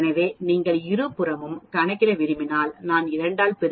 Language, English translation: Tamil, So, if you want to calculate both sides then I multiply by 2